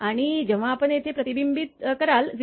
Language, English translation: Marathi, And when you will be reflected here 0